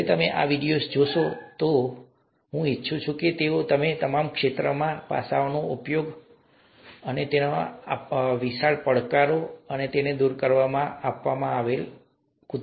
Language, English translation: Gujarati, When you watch through these videos, I would like you to see how your field, the aspects of your field are being used to solve huge problems, huge challenges, overcome huge challenges as the ones that are being given here